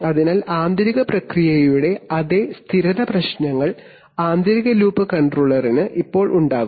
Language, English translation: Malayalam, So the inner loop controller will now have the same stability problems as the overall process